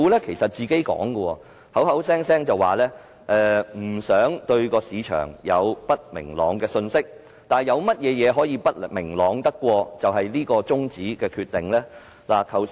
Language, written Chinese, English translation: Cantonese, 其實，政府聲稱不想給予市場不明朗的信息，但有甚麼會比中止審議《條例草案》的決定更不明朗？, In fact the Government claims that it does not want to send unclear messages to the market but is there anything more unclear than the decision to adjourn the scrutiny of the Bill?